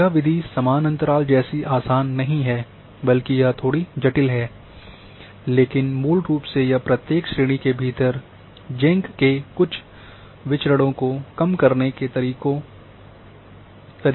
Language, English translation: Hindi, This method is not as simple as equal interval this is little complex, but basically it uses Jenk’s method of minimizing some of variance within each classes